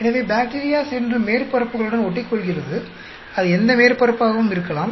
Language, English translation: Tamil, So, the bacteria goes and attaches to surfaces, and it could be any surface